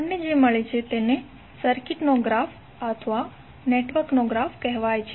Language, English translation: Gujarati, So what we get is called the graph of the circuit or graph of the network